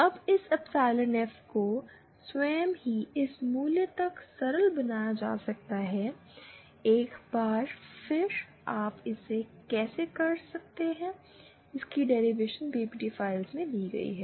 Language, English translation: Hindi, Now this epsilon F itself can be simplified to this value, once again the derivation how you are doing it is given in the accompanying PPT files